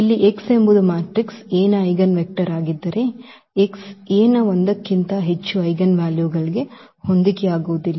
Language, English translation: Kannada, Here if x is the eigenvector of the matrix A, then x cannot correspond to more than one eigenvalue of A